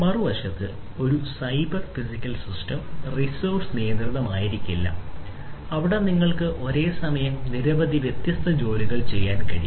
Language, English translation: Malayalam, On the other hand, a cyber physical system may not be resource constrained and there you know you can perform large number of different tasks at the same time